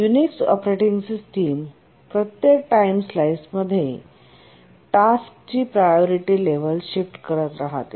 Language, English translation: Marathi, The Unix operating system keeps on shifting the priority level of a task at every time slice